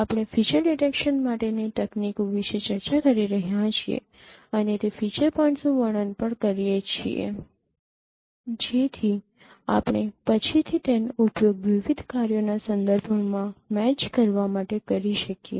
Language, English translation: Gujarati, We are discussing about techniques for detecting features and also describing those feature points so that we can use them later for matching with respect to various tasks